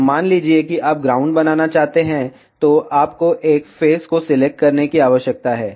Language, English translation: Hindi, Now, suppose if you want to make ground, so you need to select one face